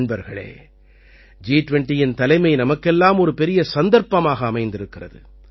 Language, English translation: Tamil, Friends, the Presidency of G20 has arrived as a big opportunity for us